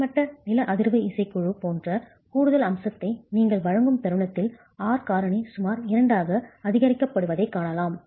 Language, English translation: Tamil, The moment you give an additional feature like a horizontal seismic band, you see that the r factor can be enhanced to about two